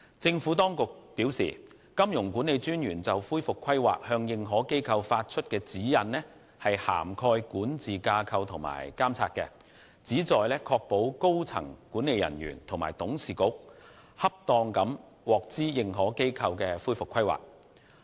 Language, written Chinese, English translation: Cantonese, 政府當局表示，金融管理專員就恢復規劃向認可機構發出的指引涵蓋管治架構及監察，旨在確保高層管理人員及董事局恰當地獲知認可機構的恢復規劃。, The Administration is of the view that MAs guidance to AIs on recovery planning covers governance structure and oversight to ensure that the senior management and boards of directors are appropriately informed about AIs recovery plan